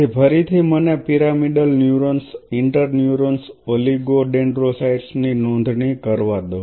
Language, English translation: Gujarati, So, again just let me enlist pyramidal neurons inter neurons oligo dendrocytes you will have micro glia will have astrocytes